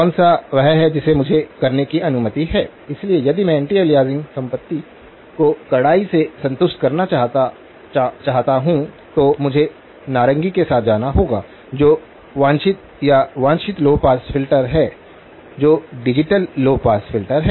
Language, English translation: Hindi, Which one is the one that I am allowed to do, so if I want to strictly satisfy the anti aliasing property, I have to go with the orange one that is the desired or the desired low pass filter that digital low pass filter